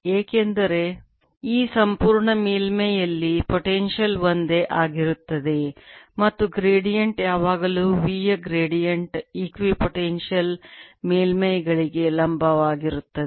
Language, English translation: Kannada, the potential is the same on this entire surface and gradient is always gradient of b is perpendicular to equipotential surfaces